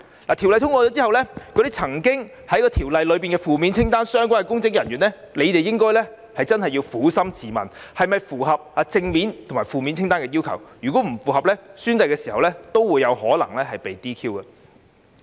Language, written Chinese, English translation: Cantonese, 在《條例草案》通過後，那些曾經做出負面清單所列行為的相關公職人員真的要撫心自問，是否符合正面清單及負面清單的要求；，如果不符合，在宣誓時有可能會被 "DQ"。, After the passage of the Bill public officers who have committed the acts set out in the negative list should really ask themselves whether they have fulfilled the requirements specified in the positive and negative lists; if not they may be DQ disqualified when they take the oath